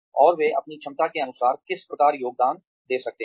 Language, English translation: Hindi, And, how they might be able to contribute to the best of their ability